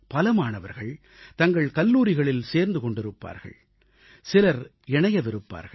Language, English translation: Tamil, Some students might have joined their respective colleges and some must be about to join